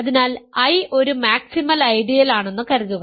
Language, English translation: Malayalam, So, assume that I is a maximal ideal